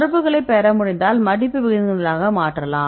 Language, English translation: Tamil, And if we are able to get the contacts, then we can convert these contacts into folding rates